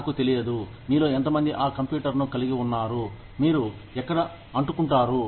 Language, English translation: Telugu, I do not know, how many of you have, had that computer, where you would stick in